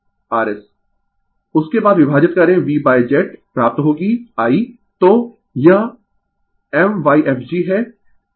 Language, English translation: Hindi, After that you divide V by Z you will get the I right so, this is my fg